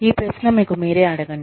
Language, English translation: Telugu, Ask yourself, this question